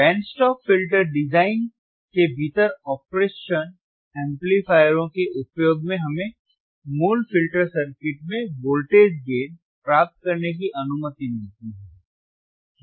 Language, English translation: Hindi, The use of operational amplifiers within the band stop filter design also allows us to introduce voltage gain into basic filter circuit right